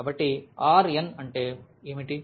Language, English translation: Telugu, So, what is the R n